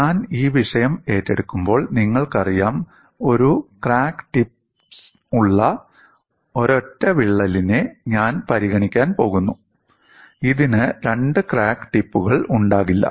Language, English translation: Malayalam, And when I take up this topic, I am going to consider a single crack having one crack tip; it will not have two crack tips